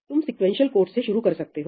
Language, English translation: Hindi, You can start with a sequential code